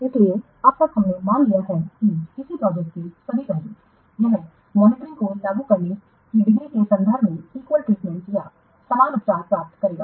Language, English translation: Hindi, So far we have assumed that all the aspects of a project it will receive equal treatment in terms of degree of monitoring applied